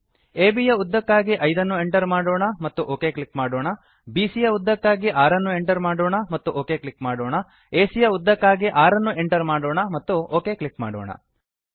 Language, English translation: Kannada, Lets Enter 5 for length of AB and click OK,6 for length of BC and click OK, 6 for length of AC and click OK